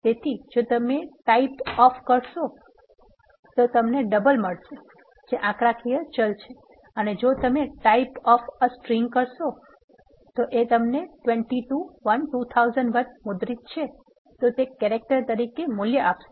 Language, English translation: Gujarati, So, if you say, type of, you will get double which is numerical variable and if you say, type of a string, that is printed 22 1 2001, it will give value as character